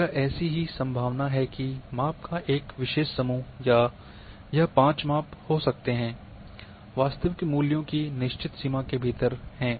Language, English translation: Hindi, This is what is that the likelihood of probability that a particular set of measurements may be 5 measurements, are within the certain range of true values